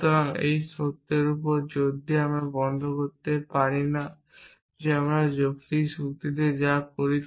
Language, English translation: Bengali, So, we cannot stop emphasizing the fact that everything that we do in logical reasoning is based on forms essentially